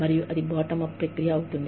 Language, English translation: Telugu, And, that in turn, becomes a bottom up process